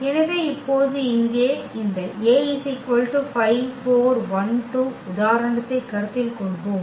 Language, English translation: Tamil, So, just to demonstrate this we have taken the simple example here